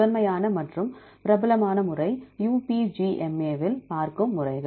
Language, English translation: Tamil, So, one of the foremost method and the popular methods you see UPGMA